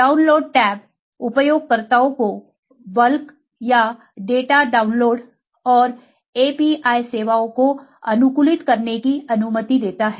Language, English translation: Hindi, The download tab allow users to have bulk or customize data download and API services